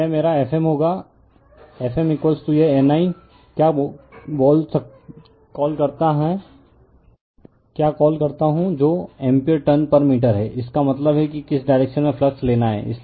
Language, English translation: Hindi, So, this will be my F m, F m is equal to this N I right your what you call by your what you call l that is the ampere turns per meter, this is your that means, you have to see the whose direction you have to take the flux